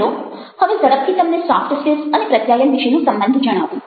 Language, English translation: Gujarati, now let me share quickly with you the relationship between soft skills and communication